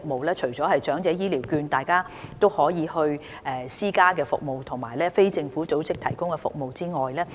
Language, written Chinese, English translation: Cantonese, 此外，長者也可使用長者醫療券購買私營服務，而非政府組織亦有提供這方面的服務。, Moreover the elderly can use their health care vouchers to hire services in the private sector and services are also provided by NGOs